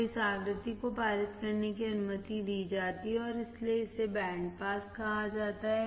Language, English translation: Hindi, So, this frequency is allowed to pass and that is why it is called band pass